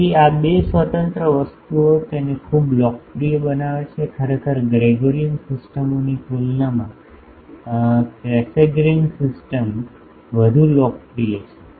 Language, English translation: Gujarati, So, these two independent things makes it so popular, actually Cassegrain systems are more popular compared to the Gregorian systems